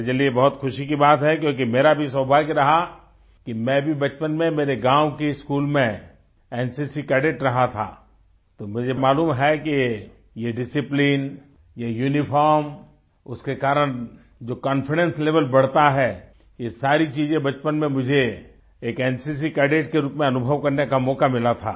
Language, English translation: Hindi, It is matter of joy for me because I also had the good fortune to be an NCC Cadet in my village school as a child, so I know that this discipline, this uniform, enhances the confidence level, all these things I had a chance to experience as an NCC Cadet during childhood